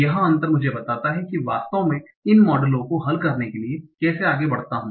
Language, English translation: Hindi, So this difference tells me whether, so how do I actually go about solving these models